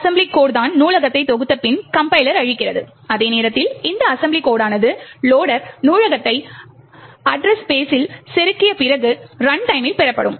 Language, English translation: Tamil, So, this assembly code is what the compiler gives out after compilation of the library, while this assembly code is what is obtained at runtime after the loader has inserted the library into the address space